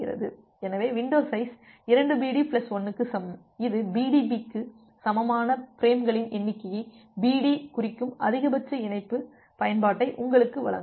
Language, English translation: Tamil, So, the window size equal to 2BD plus 1, it will give you the maximum link utilization where BD denotes the number of frames equivalent to BDP